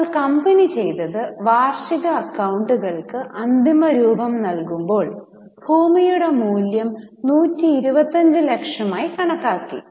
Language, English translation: Malayalam, Now there are three possible market valuesizing the annual accounts it has considered the value of land as 125 lakhs